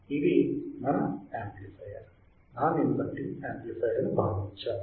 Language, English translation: Telugu, Here we have considered the amplifier is your non inverting amplifier